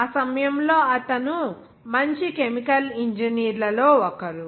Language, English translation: Telugu, He is one of the finer chemical engineers at that time